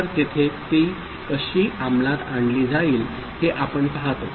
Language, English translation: Marathi, So, now we see how it is getting implemented there